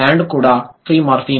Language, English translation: Telugu, Land is also free morphem